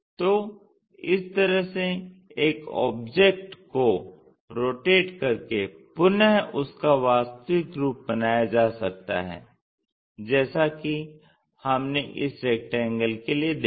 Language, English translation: Hindi, Actually, that object by rotating properly bringing it back to original thing we will see this rectangle, ok